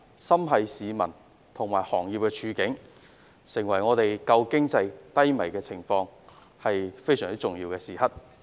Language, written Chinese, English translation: Cantonese, 心繫市民和行業的處境，現在是在有限空間拯救低迷的經濟的重要時刻。, Out of our care of the situation of members of the public and various industries I think it is now a critical moment to salvage the struggling economy under the constraints